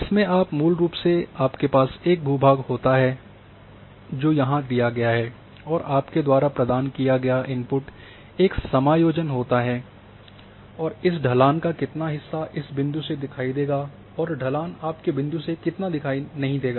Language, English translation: Hindi, In which you are having basically a terrain which is given here and the input you provide a offset and then you would like to know that how much of this slope would be visible from this point and how much of the slope will not be visible at your point